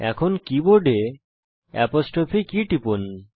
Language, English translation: Bengali, Now from the keyboard press the apostrophe key